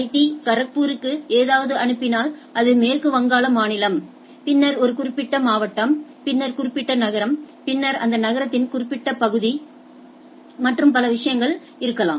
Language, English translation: Tamil, Instead I divided that I if I am sending something to IIT Kharagpur, so, it is a state of West Bengal, then district a particular district, then particular city, then particular area of that city and then the thing